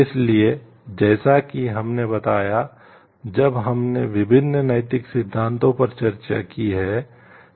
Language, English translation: Hindi, So, as we told you when you have discussed ethic different ethical theories